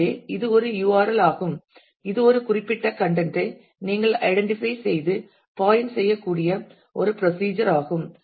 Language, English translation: Tamil, So, that is a URL is a procedure to which you can identify and point to a certain specific location of content